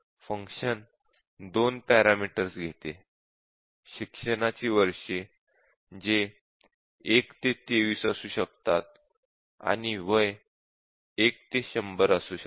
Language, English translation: Marathi, These are 2 parameters which a function takes; years of education which can be 1 to 23, and age which is 1 to 100